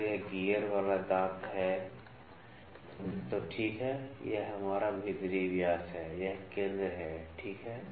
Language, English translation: Hindi, If this is a gear tooth, ok, this is our inner dia, this is a centre, ok